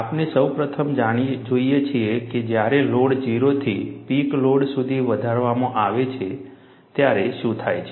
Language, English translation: Gujarati, We first look at, what happens when the load is increased from 0 to the peak load